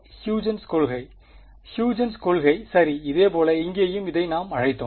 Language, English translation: Tamil, Huygens principle ok, similarly for here and this one we called